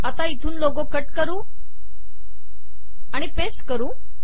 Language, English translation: Marathi, Lets cut and paste logo from here